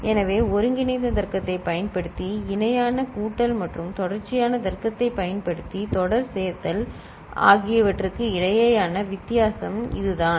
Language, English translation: Tamil, So, this is the difference between parallel addition using combinatorial logic and serial addition using sequential logic ok